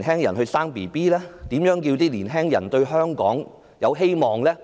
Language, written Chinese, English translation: Cantonese, 如何讓他們對香港抱有希望呢？, How can we offer them any hope about Hong Kong?